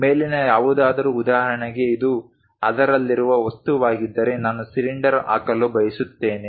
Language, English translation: Kannada, Anything above for example, if this is the object in that I would like to put a cylinder